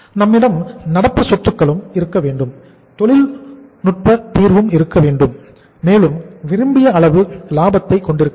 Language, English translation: Tamil, We should have the current assets also and we should have the technical solvency also and we should have the desired level of the profitability also